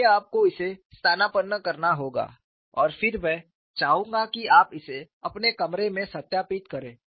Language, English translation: Hindi, So, this you will have to substitute it and then I would like you to verify it in your rooms